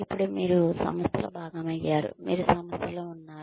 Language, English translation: Telugu, Now, that you have become a part of the organization, you are in